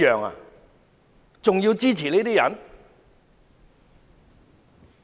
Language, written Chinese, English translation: Cantonese, 還要支持這些人嗎？, Do they still want to support these people?